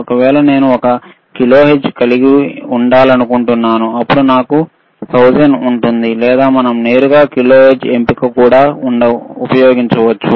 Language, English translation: Telugu, If I want to have one kilohertz, then I will have 1 and then 3 times 000, or we can directly use kilohertz option also